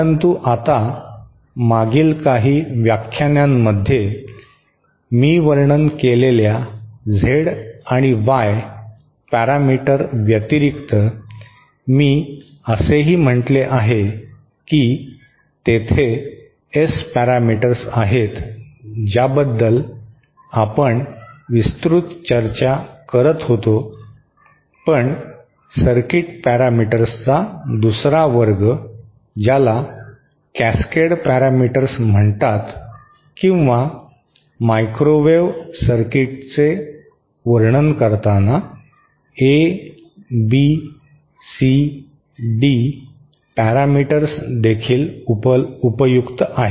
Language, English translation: Marathi, But I would like to now, in addition to the Z and Y parameter that I described in the past few lectures, I also said that there are S parameters that is what we had been discussing extensively but another class of circuit parameters called Cascade parameters or ABCD parameters are also quite useful while describing microwave circuits